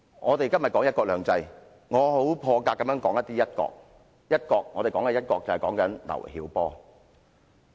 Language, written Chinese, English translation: Cantonese, 我們今天談"一國兩制"，我很破格地談涉及"一國"的事宜，談及劉曉波。, When we talk about one country two systems today I have made an exception by referring to an issue related to one country in mentioning LIU Xiaobo